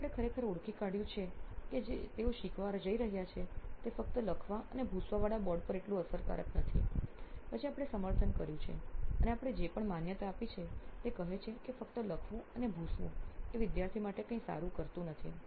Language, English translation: Gujarati, Then we have actually identified that what they are going what learning they are doing is not as efficiently on the just write and erase board, then we have validated and our whatever validation we have gone through says that just writing and erasing is not doing any good to the student just because